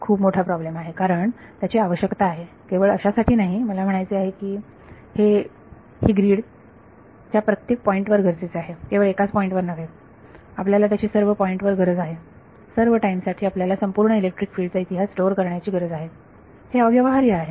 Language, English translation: Marathi, That is a huge problem because this is needed not just I mean this is needed at every point on the Yee grid not just at one point you need it in all points has space you need to store the entire electric field history for all time right, so that is that is impractical